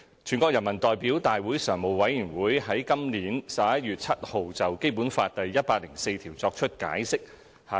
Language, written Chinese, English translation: Cantonese, "全國人民代表大會常務委員會於本年11月7日就《基本法》第一百零四條作出解釋。, On 7 November this year the Standing Committee of the National Peoples Congress adopted the interpretation of Article 104 of the Basic Law